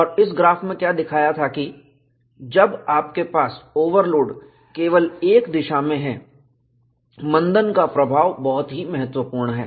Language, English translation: Hindi, And what this graph showed was, when you have overload only in one direction, the retardation effect is very significant